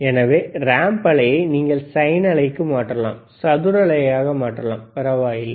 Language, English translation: Tamil, So, ramp you can change to the sine wave, you can change the square wave, does not matter